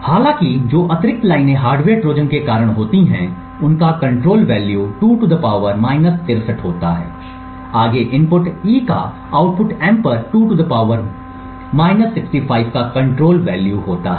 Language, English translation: Hindi, However, the additional lines which is due to the hardware Trojan has a control value of 2 ^ , further the input E has a control value of 2 ^ on the output M